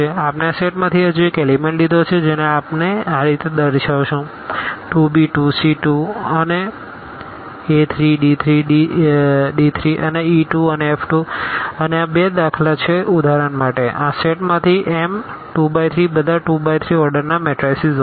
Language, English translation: Gujarati, We have taken another element of this set which we are denoting by a 2 b 2 c 2 and a 3 d 3 d 2 and e 2 and f 2 these are the two elements for example, from this set here M 2 by 3 are all matrices of order a 2 by 3